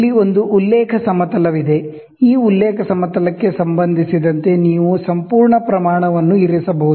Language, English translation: Kannada, So, here is a reference plane, you can place the entire scale with respect to this reference plane